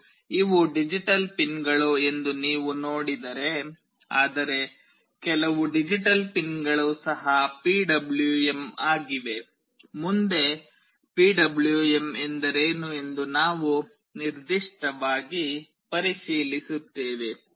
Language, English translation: Kannada, And if you see these are digital pins, but some of the digital pins are also PWM, we will look into this specifically what is PWM in course of time